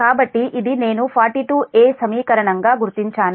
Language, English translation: Telugu, so this is i am marking as equation forty two: a